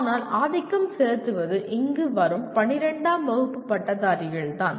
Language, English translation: Tamil, But dominantly it is the graduates of 12th standard who come here